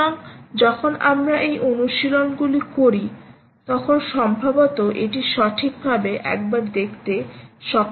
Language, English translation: Bengali, so when we do these exercises will perhaps be able to have a look at it right